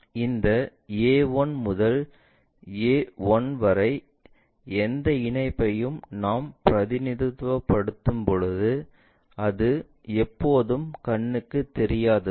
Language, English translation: Tamil, When we are representing this A 1 to A 1 whatever connection, that is always be invisible